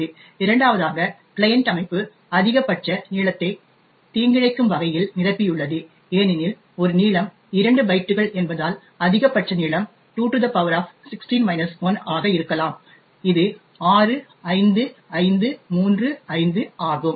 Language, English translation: Tamil, The second one is the length where maliciously the client system has filled in the maximum length that is, since a length is of 2 bytes, so the maximum length could be 2 power 16 minus 1 which is 65535